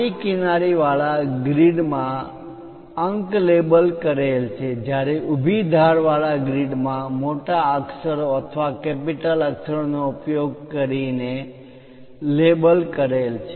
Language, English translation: Gujarati, The grids along the horizontal edges are labeled in numerals whereas, grids along the vertical edges are labeled using capital letters or uppercase letters